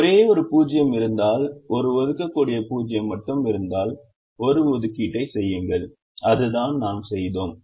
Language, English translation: Tamil, if there is only one zero, if there is only one assignable zero, then make an assignment, which is what we did